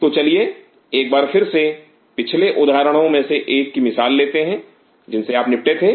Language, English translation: Hindi, So, again let us take the example of one of the previous examples where you dealt with